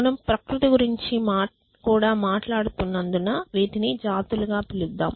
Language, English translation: Telugu, So, let us call it as species since you are talking about nature as well